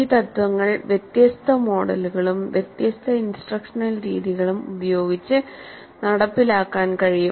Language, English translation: Malayalam, These principles can be implemented by different models and different instructional methods